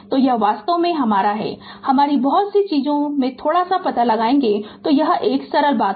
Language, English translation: Hindi, So, this is actually your what you call little bit of your many things you know this is simple thing